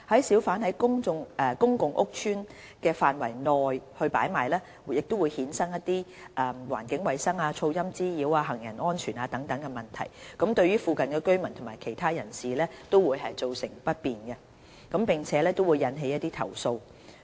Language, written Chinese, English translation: Cantonese, 小販在公共屋邨範圍內擺賣，會衍生一些環境衞生、噪音滋擾、行人安全等問題，對附近居民及其他人士造成不便，並引起投訴。, Hawkers hawking within public housing estate areas give rise to environmental hygiene noise nuisance and pedestrian safety problems and will cause inconvenience to nearby residents and other persons as well as generate complaints